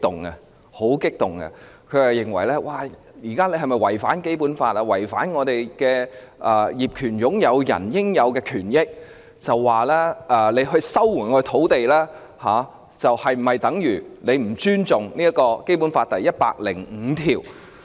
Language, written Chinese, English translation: Cantonese, 他問到我們現時是否要違反《基本法》和違反業權擁有人的應有權益，以及收回土地是否等於不尊重《基本法》第一百零五條。, He asked whether we are going to violate the Basic Law and infringe on the legitimate rights and interests of title owners and whether land resumption is tantamount to disrespect for Article 105 of the Basic Law